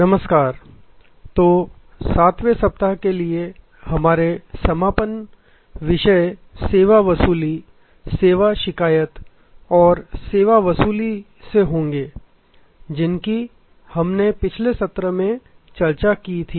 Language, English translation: Hindi, Hello, so our concluding topics for the 7th week will be from service recovery, service complaint and service recovery which we discussed in the last session